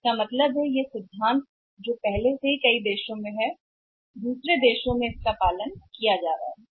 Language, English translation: Hindi, So, it means this principle which is already there in the other countries which is being followed in the other countries